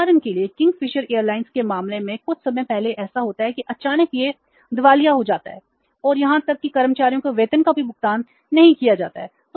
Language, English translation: Hindi, So, for example in case of the Kingfisher Airlines sometime back it happened that suddenly it became bankrupt and even the salaries of the employees were not paid